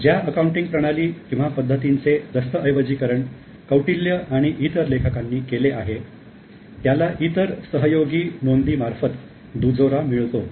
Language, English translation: Marathi, So, the accounting system which is documented by Kautil and other authors do have support from other various others collaborative record